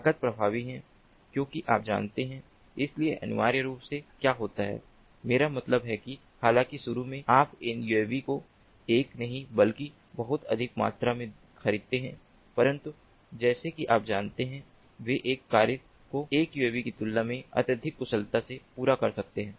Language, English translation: Hindi, so what happens essentially is, i mean, although initially you, we are going to buy couple of these uavs, not one, but they can, you know, accomplish a mission much more efficiently compared to a single uavs